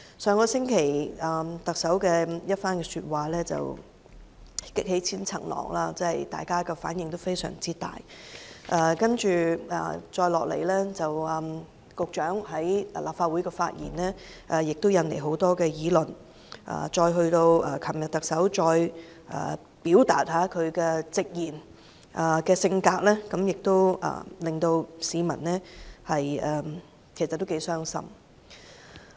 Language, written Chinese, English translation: Cantonese, 上星期特首的一番話擊起千重浪，大家反應非常大，接下來，局長在立法會的發言，也引來很多議論，到昨天特首再次表達其直言的性格，也令市民相當傷心。, The remarks made by the Chief Executive last week have sparked quite many repercussions and triggered a strong response from us . And then the Secretarys speech in the Legislative Council has also aroused many discussions . Yesterday the Chief Executive hurt the feelings of the public very much by expressing her outspoken character once again